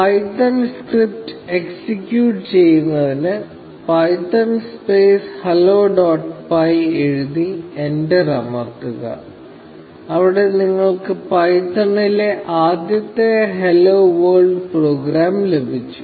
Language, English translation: Malayalam, To execute the python script, just write python space hello dot py, and press enter, and there you have it; you have the first hello world program in python